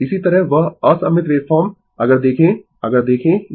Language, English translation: Hindi, Similarly, that unsymmetrical wave form if you look into if you look into this